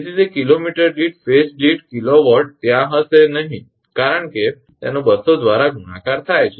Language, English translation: Gujarati, Therefore, it is kilowatt per phase per kilometre will not be there because it is multiplied by 200